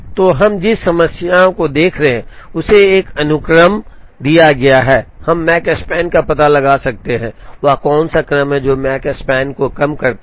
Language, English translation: Hindi, So, the problem that we are looking at is given a sequence, we can find out the Makespan, what is the sequence that minimizes the Makespan